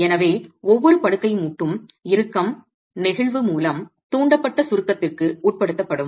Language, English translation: Tamil, So, each bed joint is going to be subjected to tension, compression induced by flexure